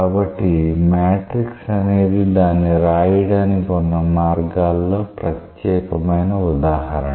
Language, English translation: Telugu, So, matrix is a very special example illustration way of writing it